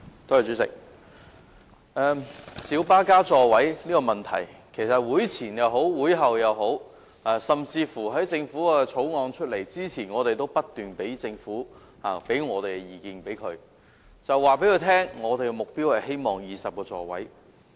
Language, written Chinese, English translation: Cantonese, 主席，就小巴增加座位的問題，其實無論在會前或會後，甚至在政府提交《2017年道路交通條例草案》前，我們不斷向政府表達意見，告訴政府我們的目標是希望增至20個座位。, President regarding the increase of seats in light buses we had been expressing our views to the Government before and after the meetings and even before the Governments introduction of the Road Traffic Amendment Bill 2017 the Bill that our objective was to increase the seating capacity to 20